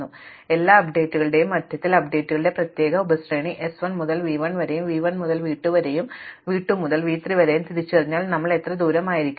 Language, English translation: Malayalam, So, in the middle of all these updates if we identify this particular sub sequence of updates s to v 1 then v 1 to v 2 then v 2 to v 3 then we have got the distance